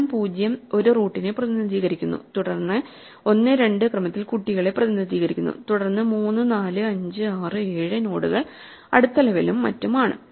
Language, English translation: Malayalam, The position 0 represents a root then in order 1 and 2 represent the children, then 3, 4, 5, 6, 7 nodes are the next level and so on